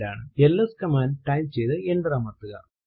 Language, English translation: Malayalam, Type the command ls and press enter